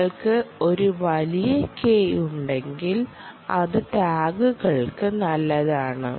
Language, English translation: Malayalam, the trouble is, if you have a large k, its good for tags to they